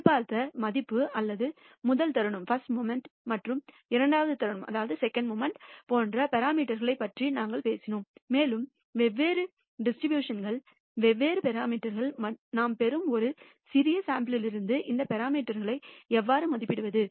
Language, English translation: Tamil, We did talk about parameters such as the expected value or the rst moment and the second moment and so on, and different distributions are different number of parameters and how do we estimate these parameters from a small sample that we obtain